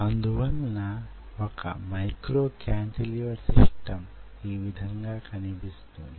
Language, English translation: Telugu, so this is how a micro cantilever system looks like